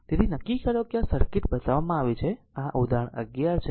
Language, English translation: Gujarati, So, determine this circuit is shown this is say example 11